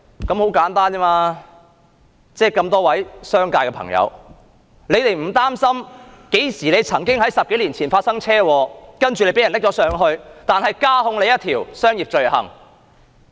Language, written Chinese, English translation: Cantonese, 難道商界的朋友不擔心會因為10多年前的車禍被大陸捉拿，然後再被加控一項商業罪行？, Are people in the business community not worried about the possibility of being caught by the Mainland authorities for a traffic accident that happened more than 10 years ago and then additionally charged with a commercial crime?